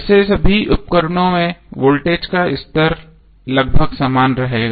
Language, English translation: Hindi, Well voltage level will almost remain same in all the appliances